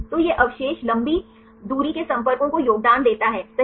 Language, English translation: Hindi, So, this residues contribute long range contacts right